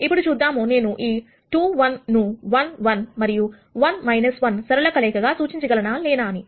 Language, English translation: Telugu, Now, let us see whether I can represent this 2 1 as a linear combination of 1 1 and 1 minus 1